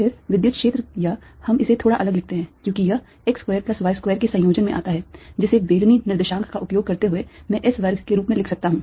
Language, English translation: Hindi, then the electric field, or let's write this slightly: difference, because this come in the combination of x square plus y square which, using cylindrical co ordinate, i can write as a square